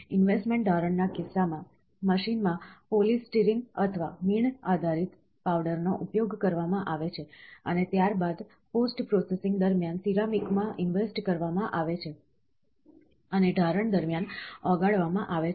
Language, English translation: Gujarati, In the case of investment casting, polystyrene or wax based powders are used in the machine, and subsequently invested in the ceramic during post processing and melted out during casting